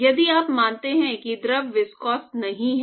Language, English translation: Hindi, If you assume the fluid to be non viscous